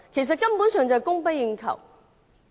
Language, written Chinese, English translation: Cantonese, 這根本是供不應求的。, This is downright insufficient